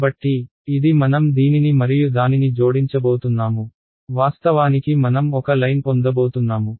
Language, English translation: Telugu, So, this is going to be I am adding this guy and this guy I am going to actually get a line